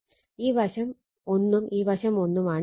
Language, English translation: Malayalam, 5 and this side also 1